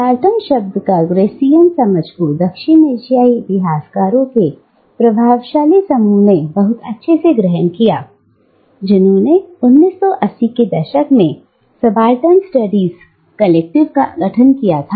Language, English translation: Hindi, Now, this Gramscian understanding of the term subaltern was taken up by the influential group of South Asian historians who formed the Subaltern Studies Collective in the 1980’s